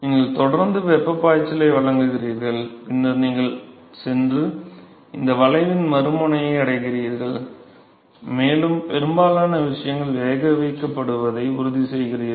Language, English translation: Tamil, So, you provide constant flux of heat and then you go and reach the other end of this curve and that is how you ensure that most of the things is boiled